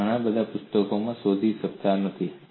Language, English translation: Gujarati, You may not find in many books